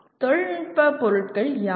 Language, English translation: Tamil, What are the technical objects